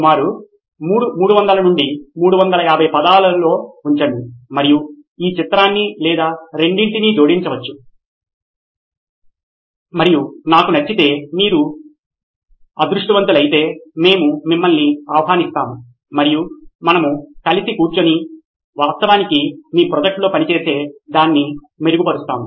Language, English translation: Telugu, Put it in about 300 to 350 words and may be add a picture or two and if we like it and if you are lucky, we will invite you over and we can sit together and actually work on your project and make it better